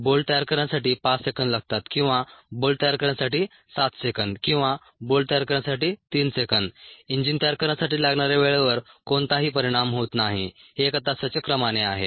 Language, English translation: Marathi, whether it takes five seconds to manufacture a bolt or seven seconds to manufacture a bolt, or three seconds to manufacture a bolt, has no impact on the time there it takes to build an engine